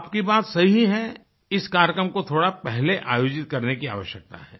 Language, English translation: Hindi, And you are right, that this program needs to be scheduled a bit earlier